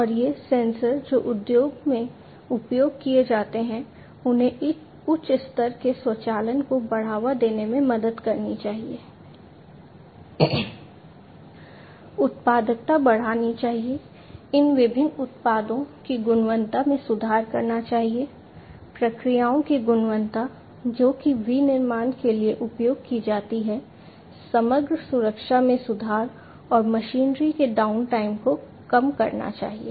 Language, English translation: Hindi, And these sensors that are used in the industry should help in promoting higher degree of automation, raising the productivity, improving the quality of these different products, quality of the processes, that are used for manufacturing, improving the overall safety and reducing the downtime of the machinery